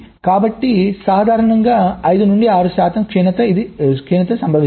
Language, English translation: Telugu, so typically five, six percent degradation this occurs